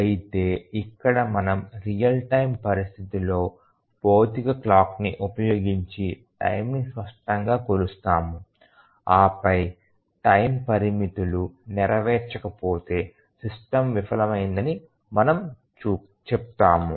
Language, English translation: Telugu, But then here we measure the time explicitly using a physical clock in a real time situation and then if the time bounds are not met, we say that the system has failed